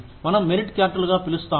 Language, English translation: Telugu, What we call as merit charts